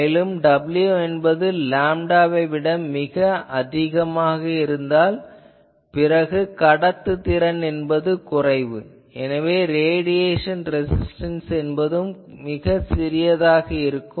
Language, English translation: Tamil, So, as w high you get a things, but then your conductance is smaller so your radiation resistance which will be small